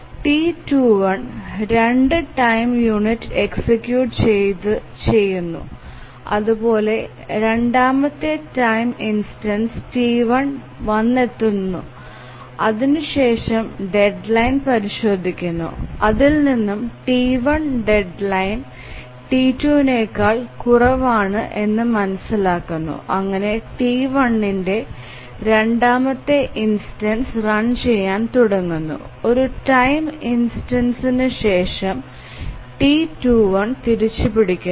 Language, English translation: Malayalam, 1 executes for two time units and at time two, sorry, time instance 3, the second instance of T1s arrives and then checks the deadline and finds that T1 has lower deadline than T2 and therefore preempts T2 and T1 starts running the second instance of T1